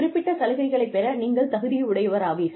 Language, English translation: Tamil, You become eligible, for getting some benefits